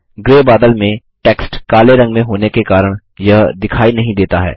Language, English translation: Hindi, As the text in the gray clouds is black in color, it is not visible